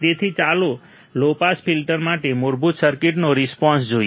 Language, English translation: Gujarati, So, let us see basic filter response for the low pass filter